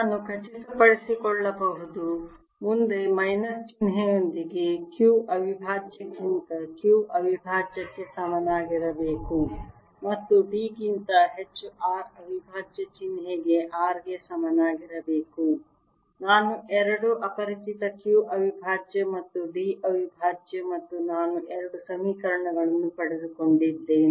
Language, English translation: Kannada, i can ensure that if i take q over r to be equal to q prime over d prime, with the minus sign in front, and d over r to be equal to r over d prime, i have got two unknowns, q prime and d prime, and i have got two equations